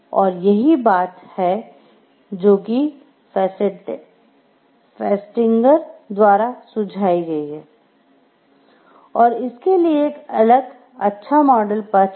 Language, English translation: Hindi, This is what is suggested by Festinger, and then there is a different like good path model for it